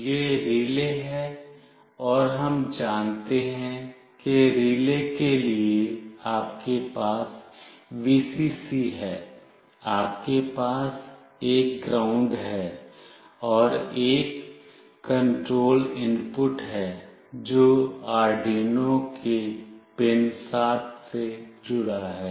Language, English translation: Hindi, This is the relay, and we know that for relay you have a Vcc, you have a ground, and a control input that is connected to pin 7 of Arduino